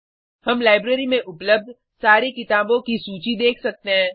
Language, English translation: Hindi, We can see the list of all the books available in the library